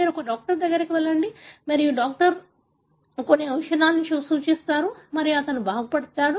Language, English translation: Telugu, You go to your doctor and the doctor prescribes certain medicine and he gets better